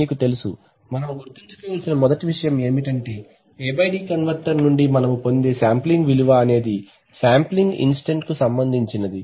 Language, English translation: Telugu, You know first thing that we must remember that the sampling value which you get from the A/D converter is at the sampling instant